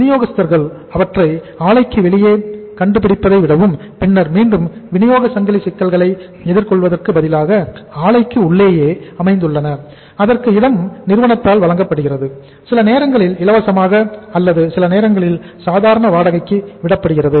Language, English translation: Tamil, And suppliers rather than locating them outside the plant and then again facing the supply chain problems, they are located within the plant, space is provided by the company, sometime free of cost or sometime on some say normal renting